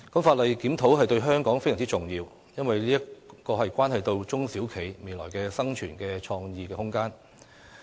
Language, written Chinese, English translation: Cantonese, 法例檢討對香港非常重要，因為這關係到中小企未來的生存和創意空間。, It is very important for Hong Kong to have a review of the relevant legislation as it bears on SMEs future survival and room for creativity